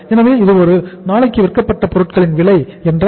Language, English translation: Tamil, So it is cost of goods sold per day is 40000